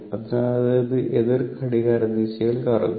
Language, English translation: Malayalam, And in the anticlockwise direction